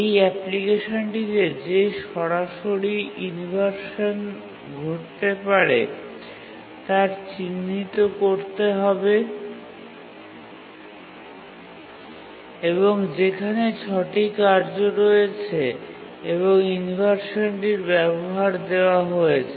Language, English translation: Bengali, Now please identify the direct inversions that can occur in this application where there are six tasks and their research uses is given